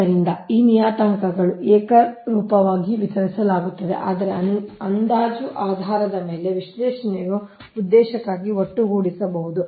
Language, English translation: Kannada, so so these parameters are uniformly distributed throughout, but can be lumped for the purpose of analysis, an approximate basis